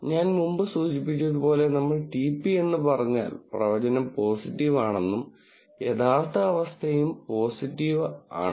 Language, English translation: Malayalam, As I mentioned before if we say TP the prediction is positive and that the true condition is also positive